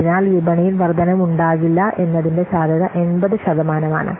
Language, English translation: Malayalam, So, the probability that it will not be expanded as 80 percent